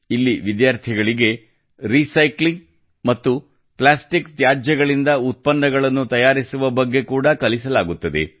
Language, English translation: Kannada, Here students are also taught to make products from recycling and plastic waste